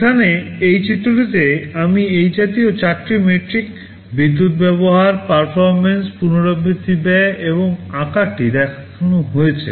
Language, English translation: Bengali, Here in this diagram, I am showing four such metrics, power consumption, performance, non recurring expenditure, and size